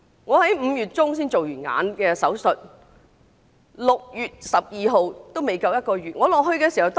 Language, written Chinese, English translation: Cantonese, 我在5月中曾做過眼部手術，到6月12日，還未足1個月。, I had an eye surgery in mid - May what was not even a month before 12 June